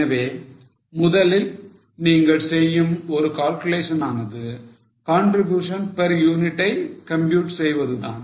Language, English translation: Tamil, So, one calculation you will do in the beginning is compute the contribution per unit